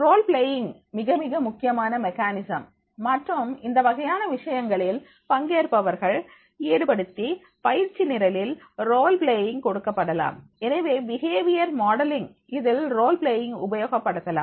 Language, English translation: Tamil, Role playing is becoming a very very important mechanism and therefore in that case the we can involve the participants to conduct that type of the training programs and the role playing can be given